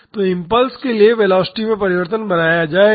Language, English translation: Hindi, So, for the impulse a change in velocity will be created